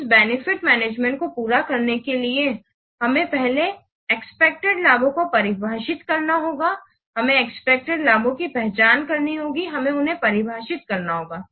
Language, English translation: Hindi, In order to carry out this benefits management, we have to define first, we have to first define the expected benefits